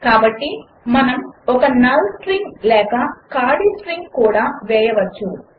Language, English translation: Telugu, So we can even put a null string or an empty string